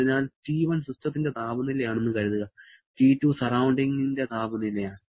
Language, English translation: Malayalam, So, if suppose T1 is a system temperature, T2 is a surrounding temperature